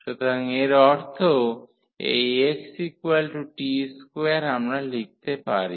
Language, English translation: Bengali, So, that means, this x is equal t square we can write